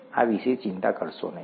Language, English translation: Gujarati, Don’t worry about this